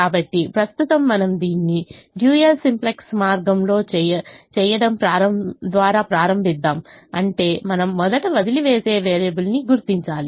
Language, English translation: Telugu, so, but right now we begin by doing it in with a dual simplex way, which means we will first identify the leaving variable